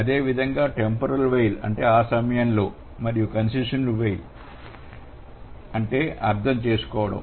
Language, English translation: Telugu, Similarly, the temporal while which means during the time and concessive while which means understand